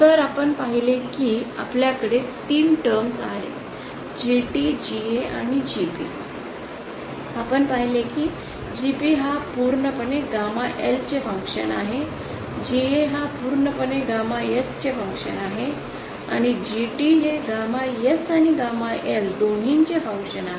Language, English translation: Marathi, So we saw that we have 3 terms GA GT GA and GP we saw that GP is purely a function of gamma L GA is purely a function of gamma S and GT is function of both gamma S and gamma L